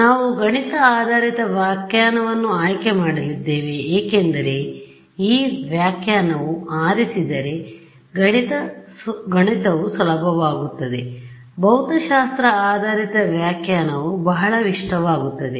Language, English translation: Kannada, So, we are going to choose the math based interpretation because the math gets easier if I choose this interpretation right, the physic physics based interpretation is very appealing